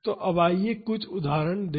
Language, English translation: Hindi, Now, let us look at some examples